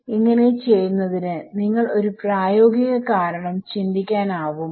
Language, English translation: Malayalam, Can you think of a practical reason for doing this